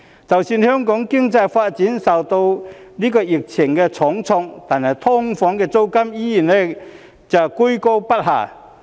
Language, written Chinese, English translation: Cantonese, 即使香港的經濟發展受到疫情重創，但"劏房"的租金依然居高不下。, Despite the heavy blow dealt to Hong Kongs economic development by the epidemic the rentals of SDUs still remain high